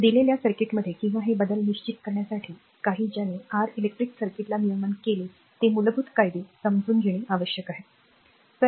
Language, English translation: Marathi, In a given circuit may be or to determine these variables requires that we must understand some fundamental laws that given your that govern electric circuit